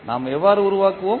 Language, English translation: Tamil, How we will construct